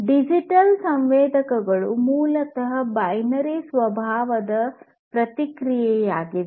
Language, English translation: Kannada, Digital sensors are basically the ones where the response is of binary nature